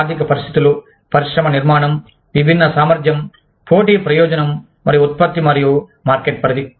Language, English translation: Telugu, Economic conditions, industry structure, distinct competence, competitive advantage, and product and market scope